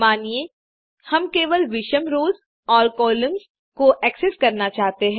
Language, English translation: Hindi, Suppose we wish to access only the odd rows and columns (first, third, fifth)